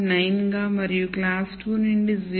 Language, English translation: Telugu, 9 and from class 2 as 0